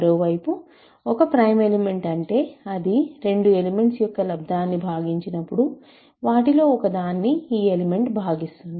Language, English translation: Telugu, On the other hand, a prime element is an element which when it divides a product of two elements, it must divide one of them